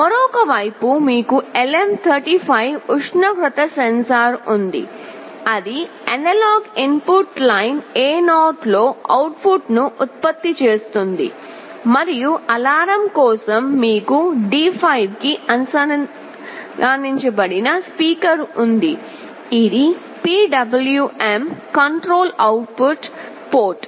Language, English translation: Telugu, On the other side you have the LM35 temperature sensor that will be generating the output on analog input line A0, and for alarm you have a speaker that is connected to D5, which is a PWM control output port